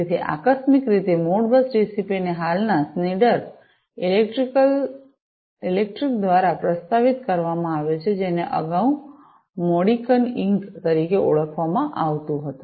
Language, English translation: Gujarati, So, incidentally Modbus TCP has been proposed by present day Schneider electric, which was earlier known as the Modicon Inc